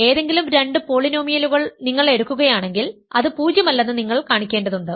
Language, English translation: Malayalam, You want to show that any two polynomials if you take that are non zero